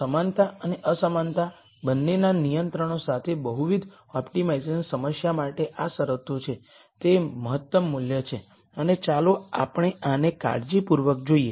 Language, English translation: Gujarati, These are the conditions for multivariate optimization problem with both equality and inequality constraints to be at it is optimum value and let us look at this carefully